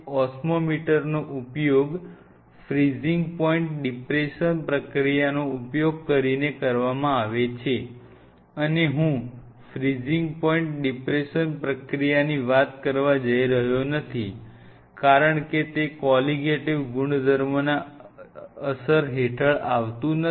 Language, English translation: Gujarati, Osmometer is being used using something called freezing point depression process, and I am not going to get into the freezing point depression process because it falls under the studying the Colligative property